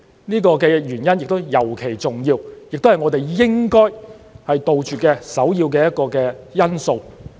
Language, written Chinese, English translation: Cantonese, 這個原因亦尤其重要，也是我們應該杜絕的一個首要因素。, This is a particularly important reason and a primary factor why we have to ban these products